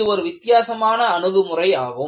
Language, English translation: Tamil, So, this is a different approach